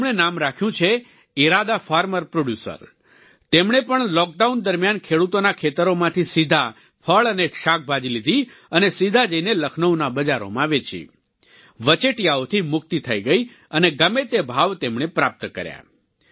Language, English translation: Gujarati, They named themselves the Iraada; Farmer Producer and they too during the lockdown, procured fruits and vegetables directly from the cultivators' fields, and sold directly in the markets of Lucknow, free from the middlemen, and got whatever price they demanded